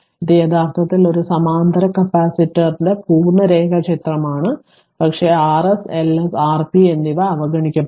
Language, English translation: Malayalam, This is actually complete diagram of a parallel capacitor, but R s L s and R p will be neglected